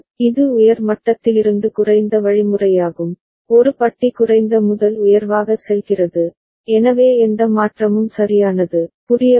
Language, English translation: Tamil, And it is high to low means, A bar is going from low to high, so no change right, understood